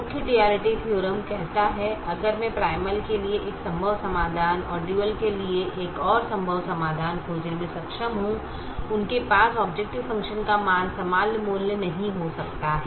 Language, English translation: Hindi, the main duality theorem says: if i am able to find a feasible solution to the primal and another feasible solution to the dual, they may not have the same value of the objective function